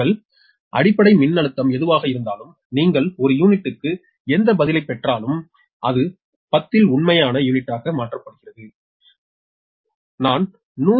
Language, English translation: Tamil, ah, whatever, whatever your base voltage, you say whatever answer you get in per unit or you will converted to real unit at the ten, you will see the same thing is coming right